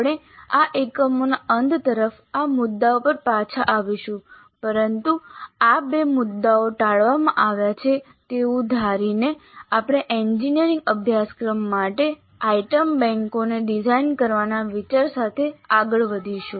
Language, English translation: Gujarati, We will come back to this issue towards the end of this unit but for the present assuming that these two issues are deferred we will proceed with the idea of designing the item banks for an engineering course